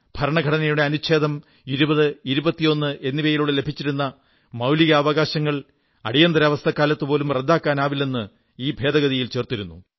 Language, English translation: Malayalam, This amendment, restored certain powers of Supreme Court and declared that the fundamental rights granted under Article 20 and 21 of the Constitution could not be abrogated during the Emergency